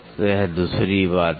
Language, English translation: Hindi, So, this is the other thing